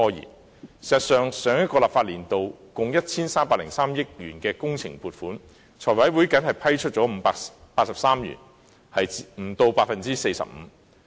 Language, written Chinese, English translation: Cantonese, 事實上，上個立法年度共 1,303 億元的工程撥款，立法會財務委員會僅批出583億元，不足 45%。, In fact the Finance Committee of the Legislative Council approved only 58.3 billion or less than 45 % of the 130.3 billion funding sought for works projects in the last legislative year